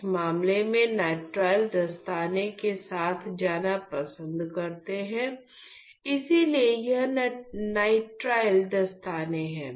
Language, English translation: Hindi, So, in that case I prefer going with nitrile gloves, so this here are the nitrile gloves